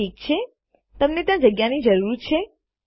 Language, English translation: Gujarati, Okay, you need a space out there